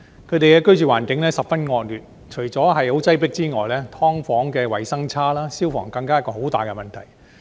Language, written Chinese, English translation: Cantonese, 他們的居住環境十分惡劣，除了十分擠迫之外，"劏房"衞生差，消防更是一個很大的問題。, They live in appalling conditions enduring not just serious overcrowdedness and poor hygiene but also the major problem of fire safety